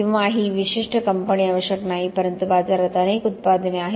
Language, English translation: Marathi, Or not necessarily this particular company but there are several products in the market